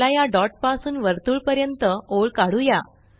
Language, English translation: Marathi, Let us draw a line from this dot to the circle